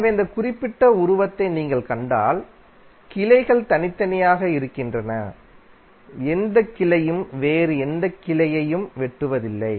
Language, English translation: Tamil, So it means that if you see this particular figure, the branches are separate and no any branch is cutting any other branch